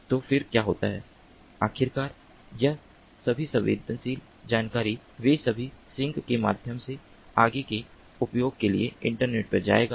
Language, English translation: Hindi, so then what happens is, finally, all this sensed information, they will all go through the sink to the internet for further use